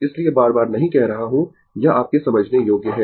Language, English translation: Hindi, So, not saying again and again; it is understandable to you , right